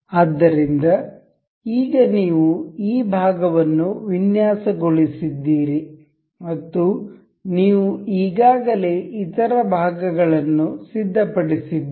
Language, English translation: Kannada, So, now, you have designed this part and you have other parts already ready